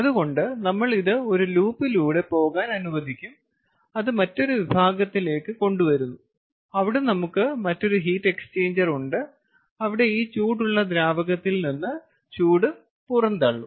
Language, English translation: Malayalam, we let this one go through a loop and we bring it to another section where we have another heat exchanger, where this hot liquid or fluid has to reject the heat